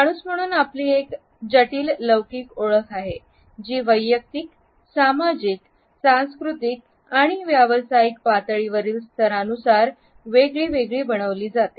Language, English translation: Marathi, As human beings we have a complex temporal identity, which is constructed at different levels at personal as well as social, cultural and professional levels